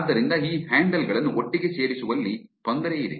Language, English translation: Kannada, So, there is difficulty in putting this handles together